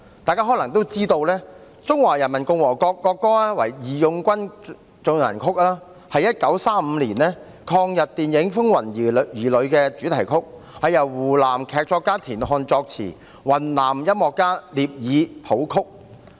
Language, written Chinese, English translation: Cantonese, 大家可能也知道，中華人民共和國國歌為"義勇軍進行曲"，是1935年抗日電影"風雲兒女"的主題曲，是由湖南劇作家田漢作詞，雲南音樂家聶耳譜曲。, As Members may probably know the national anthem of the Peoples Republic of China is March of the Volunteers which was the theme song of Children of Troubled Times a 1935 film that championed resistance against Japanese aggression . Its lyrics were written by TIAN Han a Hunan playwright and NIE Er a Yunnan musician set them to music